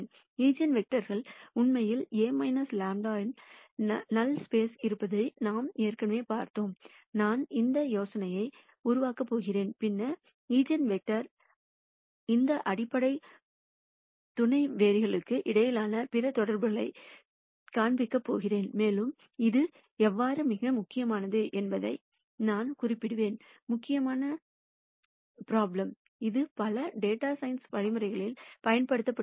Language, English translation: Tamil, We already saw that the eigenvectors are actually in the null space of A minus lambda I, I am going to develop on this idea and then show you other connections between eigenvectors and these fundamental subspaces, and I will also allude to how this is a very important problem; that is used in a number of data science algorithms